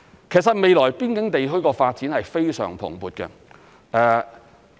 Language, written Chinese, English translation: Cantonese, 其實未來邊境地區的發展是非常蓬勃的。, In fact there will be very robust development in the border areas in the future